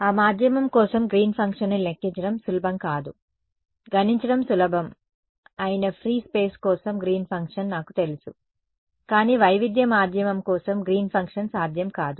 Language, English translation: Telugu, Green’s function for that medium will not be easy to calculate, I know Green’s function for free space that is easy to calculate, but Green’s function for a heterogeneous medium is not possible